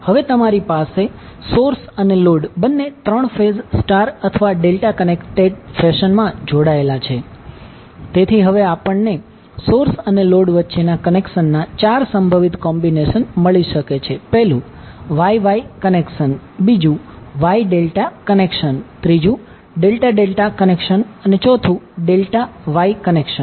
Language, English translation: Gujarati, Now since you can have source and load both three phase connected in either star or delta connected fashion, so we can have now four possible combinations of the connections between source and load, so we can say source and load are star star connected or Y Y connected that means the source is Y connected as well as load is also Y connected